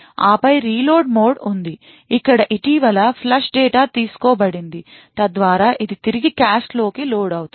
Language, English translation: Telugu, And then there is a reload mode where the recently flush data is accessed taken so that it is reloaded back into the cache